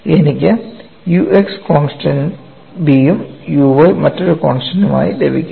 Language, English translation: Malayalam, I get u x as a constant B and u y as another constant C